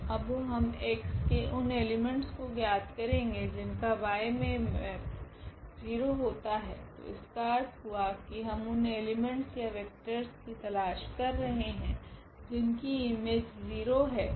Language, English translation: Hindi, Now, we are looking for the elements in x whose map is 0 in y, so that means, we are looking for these elements x, y, z t I mean these vectors or such vectors whose image is 0